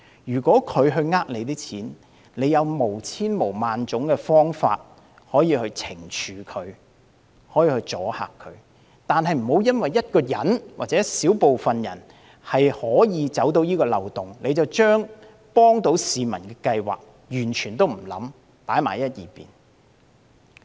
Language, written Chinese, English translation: Cantonese, 如果市民欺騙政府的金錢，政府有無數方法可以予以懲處和阻嚇，但不要因為一人或一小撮人鑽空子，便不加思索，把可以幫助市民的計劃擱置。, Whether anyone swindles public money is secondary consideration while helping people meet their pressing needs is the priority . The Government has countless ways to penalize for and deter people from swindling public money but it should not indiscriminately shelve schemes helpful to the people simply because one person or a small group of people exploited the loopholes